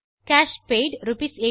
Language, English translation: Tamil, Cash paid Rs.89